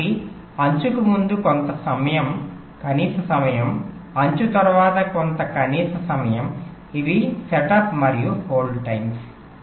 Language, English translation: Telugu, so some minimum time before the edge, some minimum time after the edge